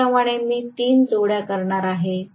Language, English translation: Marathi, Similarly, I am going to have three pairs right